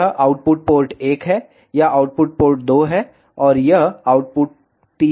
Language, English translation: Hindi, This is output port 1, this is output 2, and this is output 3